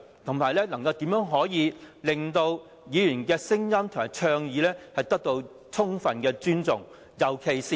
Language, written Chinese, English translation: Cantonese, 再者，怎樣令到議員的聲音及倡議充分被尊重？, Besides how can Members voices and proposals be fully respected?